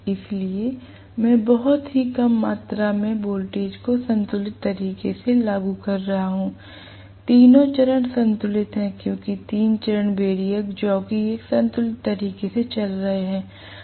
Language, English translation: Hindi, So, I am applying very very small amount of voltage in a balanced manner, all three phases are balanced, because the three phase variac jockey is moving, you know, in a balanced manner